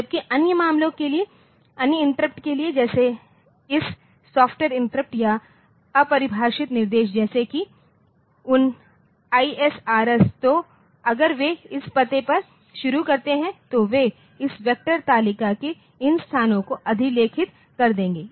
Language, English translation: Hindi, Whereas, if you for other cases for other interrupts so for say this software interrupt or undefined instruction like that so, those ISRS so, if they start at this address they will overwrite these locations of this vector table